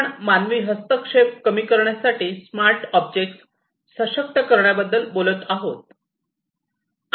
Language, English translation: Marathi, And here we are talking about empowering smart objects to reduce human intervention